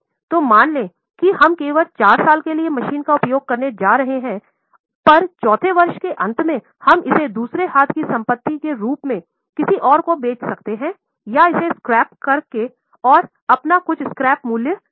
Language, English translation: Hindi, So, suppose we are going to use the machine only for four years, at the end of fourth year, we may sell it as a second hand asset to someone else or we may scrap it and it will give you some scrap value